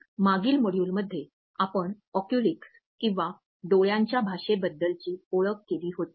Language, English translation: Marathi, In the previous module we had introduced Oculesics or the language of the eyes